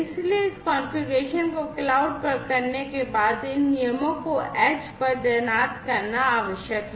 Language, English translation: Hindi, So, after this configuration is done at the cloud, it is required to deploy these rules at the edge